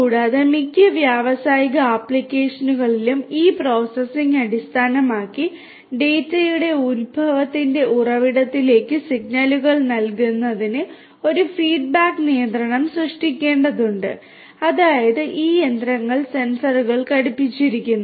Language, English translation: Malayalam, And, based on this processing in most of the industrial applications a feedback control will have to be created for feeding thus feeding the signals to the source of the origination of the data; that means, these machinery fitted with the sensors